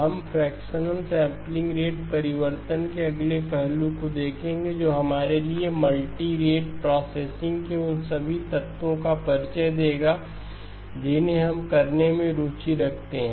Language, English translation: Hindi, We will look at the next aspect of a fractional sampling rate change which will introduce for us all of the elements of the multirate processing that we are interested in doing